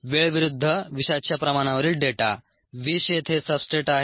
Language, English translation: Marathi, the data on toxin concentration versus time, the toxin is the substrate here